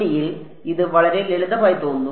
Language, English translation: Malayalam, In 1D, it looks very simple